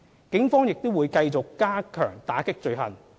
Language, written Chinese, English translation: Cantonese, 警方亦會繼續加強打擊罪行。, The Police will also continue to step up efforts to combat the offences